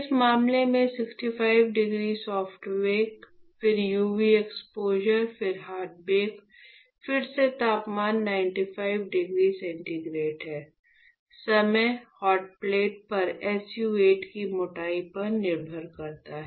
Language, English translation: Hindi, In this case, 65 degree soft bake, then UV exposure, then hard bake, again the temperature is 95 degree centigrade, time depends on the thickness of SU 8 on the hotplate, then we will form developing